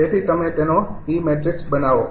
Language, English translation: Gujarati, that means all these, all these e matrix